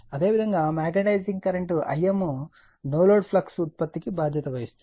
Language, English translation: Telugu, Similarly magnetize in current I m responsible forproducing no load flux, right